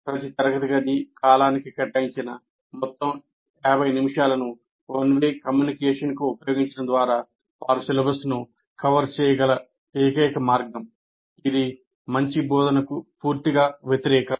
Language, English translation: Telugu, And the only way they can cover the syllabus is the entire 50 minutes that is allocated for each classroom period is used only for one way communication, which is totally against good instruction